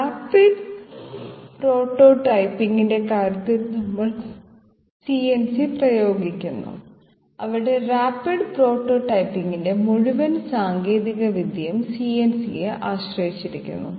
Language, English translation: Malayalam, We have CNC being applied in case of say rapid prototyping, where the whole technology of rapid prototyping is dependent upon CNC